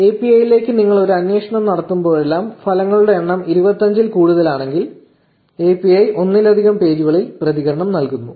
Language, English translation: Malayalam, So, whenever you make a query to the API, where the number of results is more than 25, the API returns the response in multiple pages